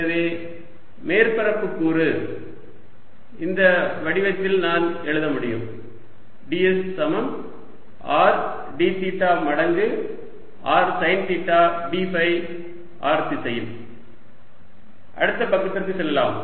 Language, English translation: Tamil, so the surface element i can write in this form is d s is equal to r d theta times r sine theta d phi in r direction